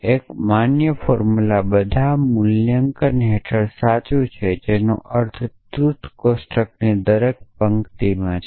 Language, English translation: Gujarati, A valid formula is true under all valuations which means every row in the truth table